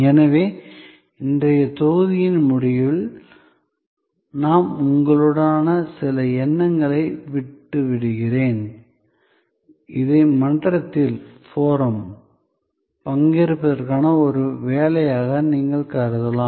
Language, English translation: Tamil, So, at the end of today's module, I leave with you some thoughts, you can consider this as an assignment for participation in the forum